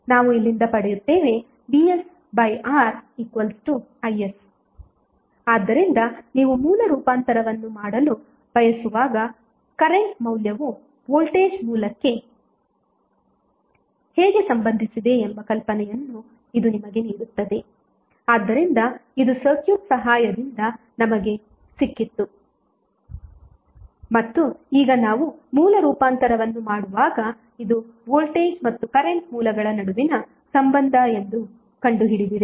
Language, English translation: Kannada, So what we get from here we get from here is nothing but Vs by R equal to is so, this will give you the idea that when you want to do the source transformation how the current source would be related to voltage source, so this we got with the help of circuit and now we found that this is the relationship between voltage and current sources when we are doing the source transformation